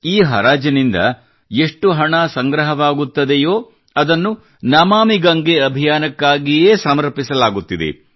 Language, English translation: Kannada, The money that accrues through this Eauction is dedicated solely to the Namami Gange Campaign